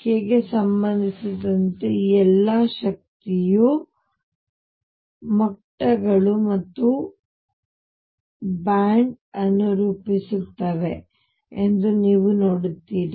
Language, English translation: Kannada, What you will see that all these energy levels now with respect to k again form a band